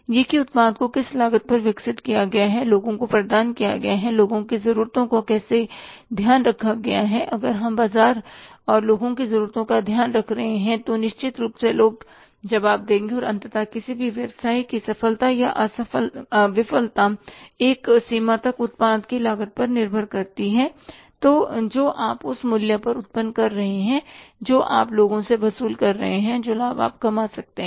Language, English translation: Hindi, If we are taking care of the market and the people's needs, certainly people respond and ultimately the success or the failure or of any business to a larger extent depends upon the cost of the product you are generating, the price you are going to charge from the people and the profit you are going to earn out of it